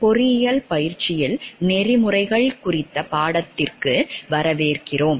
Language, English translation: Tamil, Welcome to the course on Ethics in Engineering Practice